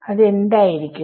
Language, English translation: Malayalam, What would be their